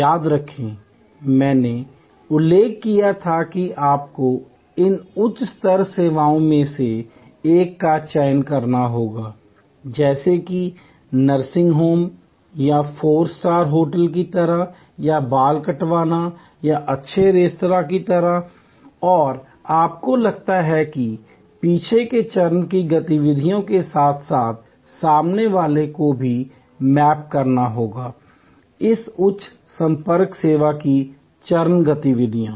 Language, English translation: Hindi, Remember, I had mentioned that you have to choose one of these high contact services, like a nursing home or like a four star hotel or like a haircut or a good restaurant and you are suppose to map the back stage activities as well as the front stage activities of this high contact service